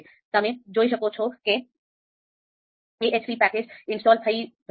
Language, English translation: Gujarati, So you can see that now AHP package is being installed